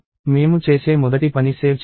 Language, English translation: Telugu, The first thing I do is save